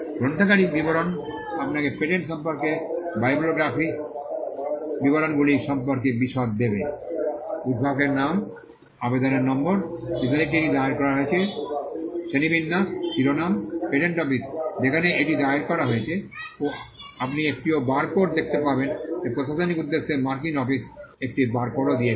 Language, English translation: Bengali, Bibliographical detail will give you the details about what are the bibliographical details about the patent; the inventors name, application number, the date on which it was filed, the classification, the title, patent office in which it is filed, you will also see a barcode which is for administrative purposes, the US office has also given a barcode